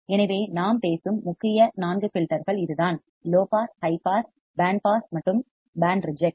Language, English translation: Tamil, So, that is the main four filters that we are talking about: low pass, high pass, band pass and band reject